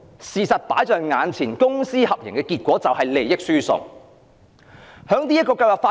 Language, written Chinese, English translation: Cantonese, 事實放在眼前，公私合營的結果就是利益輸送。, The plain truth is public - private partnership is a kind of transfer of interests